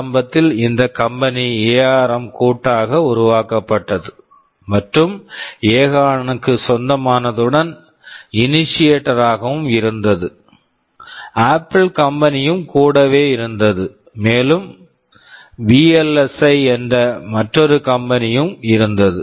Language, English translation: Tamil, IAnd initially this company ARM was jointly formed and owned by this accountAcorn which was the initiator, Apple was also there and there was another company called VLSI